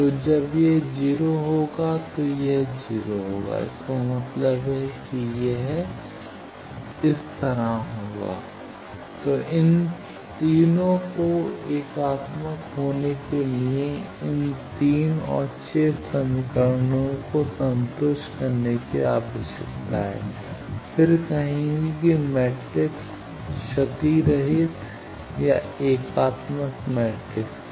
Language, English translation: Hindi, So, to be unitary these three and these three the six equations needs to be satisfied then will say the matrix is lossless or unitary matrix